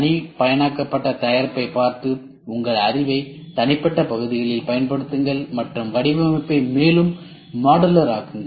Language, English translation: Tamil, Look at a customized product and apply your knowledge on individual parts and make the design more modular